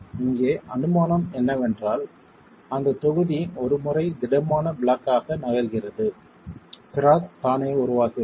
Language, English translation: Tamil, Assumption here is that the block is moving as a rigid block once the crack is formed itself